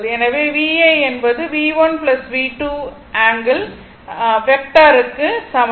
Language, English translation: Tamil, So, V s will be is equal to your V 1 minus V 2